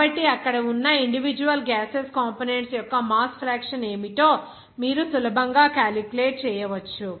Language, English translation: Telugu, So, from there, you can easily calculate what should be the mass fraction of individual gaseous components there